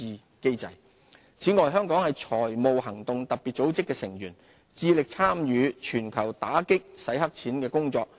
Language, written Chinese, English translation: Cantonese, 打擊清洗黑錢此外，香港是財務行動特別組織的成員，致力參與全球打擊清洗黑錢的工作。, Combating Money Laundering Meanwhile as a member of the Financial Action Task Force Hong Kong has been actively involved in global actions against money laundering